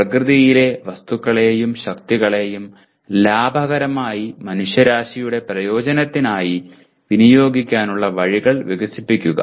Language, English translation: Malayalam, Develop ways to utilize economically the materials and forces of nature for the benefit of mankind